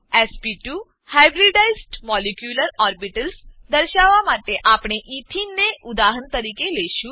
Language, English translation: Gujarati, To display sp2 hybridized molecular orbitals, we will take ethene as an example